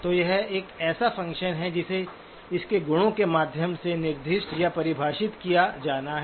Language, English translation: Hindi, So it is a function that has to be specified or defined by means of its properties